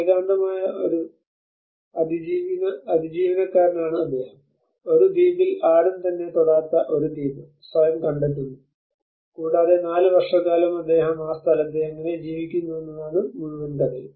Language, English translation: Malayalam, And he is a lonely survivor he finds himself in an island which an untouched island no one ever been to that island and the whole story is all about how he lives in that place for 4 years